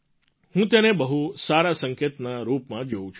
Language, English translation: Gujarati, I view this as a very good indicator